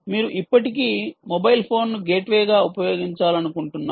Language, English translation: Telugu, you still want to use the mobile phone as a gateway, all right